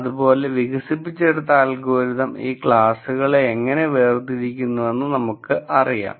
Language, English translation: Malayalam, And how do you know that this algorithm distinguishes these classes